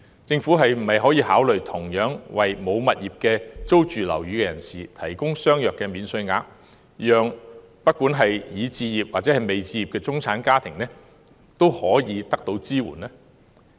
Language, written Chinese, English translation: Cantonese, 政府可否考慮同樣為沒有物業並租住樓宇的人士提供相若的免稅額，讓已置業或未置業的中產家庭均可獲得支援呢？, Can the Government also offer a similar allowance to those tenants not owning any property so that middle - class families with or without property alike can receive support?